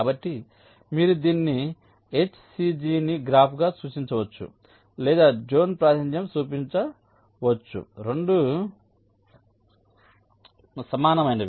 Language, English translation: Telugu, so you can either represent it, the h c g, as a graph or you can show it as a zone representation